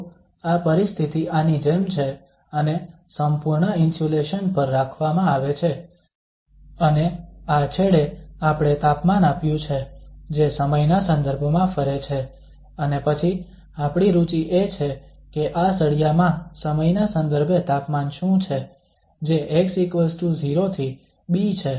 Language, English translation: Gujarati, So this situation is like this end is kept at the perfect insulation and at this end we have given the temperature, which is varying with respect to time and then our interest is that what is the temperature with respect to time in this bar, which is from x is equal to 0 to b